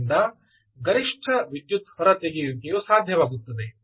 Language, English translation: Kannada, so, maximum power extraction